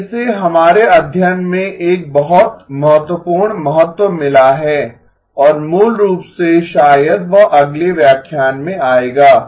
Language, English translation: Hindi, Now this has got a very significant importance in our study and basically maybe that will come in the next lecture